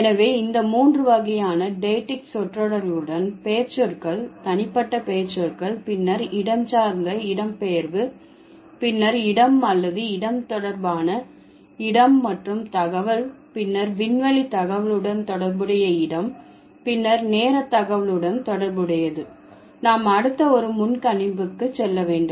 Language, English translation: Tamil, So, with these three types of diactic phrases, so personal related to pronouns, personal pronouns, then spatial related to space information, then temporal space means the place, information related to location or place, and then temporal related to the time information, we need to kind of move to the next one, presupposition